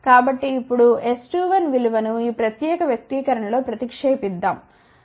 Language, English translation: Telugu, So, now, let us substitute the value of S 2 1 in this particular expression